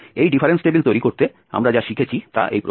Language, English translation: Bengali, To construct this difference table, what we have learnt